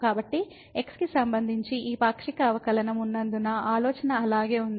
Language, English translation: Telugu, So, the idea remains the same because we have this partial derivative with respect to